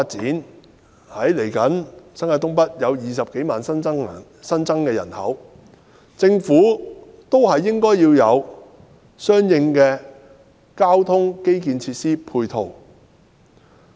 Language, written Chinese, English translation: Cantonese, 鑒於未來新界東北將有20多萬新增人口，政府應有相應的交通基建設施和配套。, Given the additional population of over 200 000 in NENT in the future the Government should provide transport infrastructure and ancillary facilities accordingly